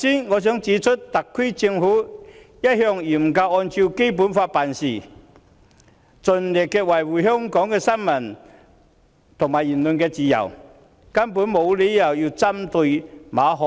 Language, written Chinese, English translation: Cantonese, 我想指出，特區政府一向嚴格按照《基本法》辦事，盡力維護新聞和言論自由，根本沒有理由針對馬凱。, I would like to point out that the SAR Government has always acted in strict accordance with the Basic Law and has tried its best to safeguard freedom of the press and freedom of speech . It has no reason to target Victor MALLET at all